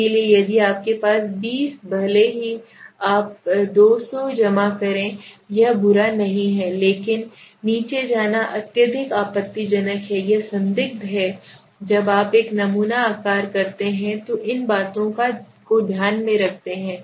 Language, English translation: Hindi, So if you have a variable 20 even if you collect 200 it is not bad right but going below that is highly objectionable it is questionable when you do a sample size keeps in mind these things